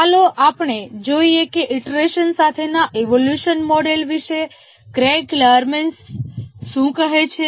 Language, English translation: Gujarati, Let's see what Craig Lerman has to say about evolutionary model with iteration